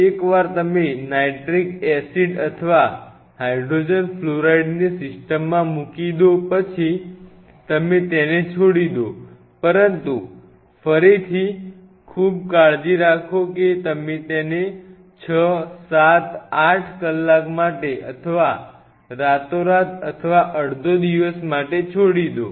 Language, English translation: Gujarati, Once you put the nitric acid or hydrogen fluoride into the system you leave it if you can swirl it is a good idea, but be again be very careful you leave it there for 6 7 8 hours or maybe again overnight or half a day